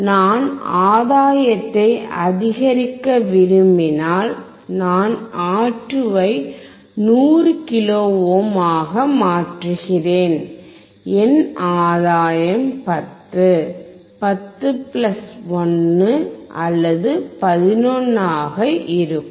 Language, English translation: Tamil, If I want to increase the gain then I change R2 to 100 kilo ohm, then my gain would be 10, 10 plus 1 or 11